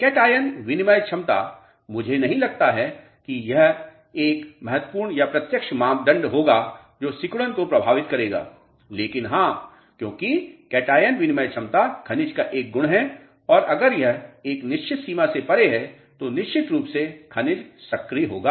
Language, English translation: Hindi, Cation exchange capacity, I do not think would be a very important or direct parameter which would be influencing shrinkage, but yes because cation exchange capacity is the property of a mineral and if it is certain beyond a certain limit definitely mineral will be active